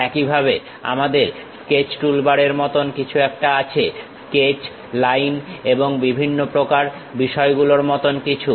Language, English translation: Bengali, Similarly, we have something like a Sketch toolbar something like Sketch, Line and different kind of thing